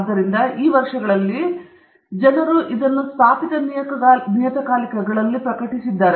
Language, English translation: Kannada, So over the years, people have been publishing like this in established journals